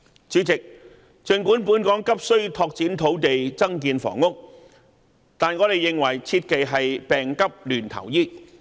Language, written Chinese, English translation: Cantonese, 主席，儘管本港急需拓展土地增建房屋，但我們認為切忌病急亂投醫。, President despite the urgent need to find more land for construction of more housing in Hong Kong we must bear in mind not to recklessly catch at straws